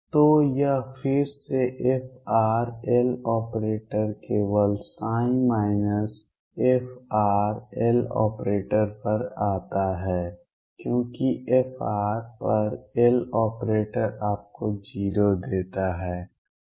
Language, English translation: Hindi, So, this comes out to be again f r L operating only on psi minus f r L operating on side because L operating on f r gives you 0 and this is 0